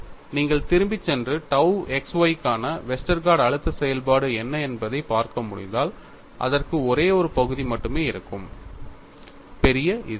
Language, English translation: Tamil, If you can go back and look at what was the Westergaard stress function for tau xy, it will have only one term involving capital Z